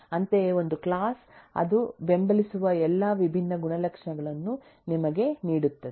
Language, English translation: Kannada, similarly, a class will give us all the different properties that you can support